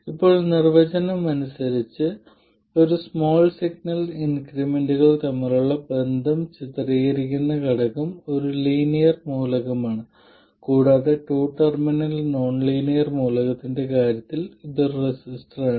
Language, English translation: Malayalam, Now, by definition the element that depicts the relationship between small signal increments is a linear element and it is a resistor in case of a two terminal nonlinear element